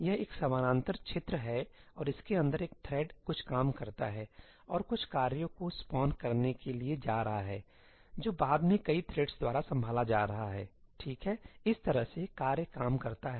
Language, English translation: Hindi, This is a parallel region and inside that a single thread does some work and its going to spawn some tasks which are then going to be handled by multiple threads, right, that is the way tasks work